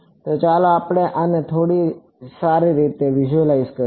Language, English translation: Gujarati, So, let us sort of visualize this a little bit better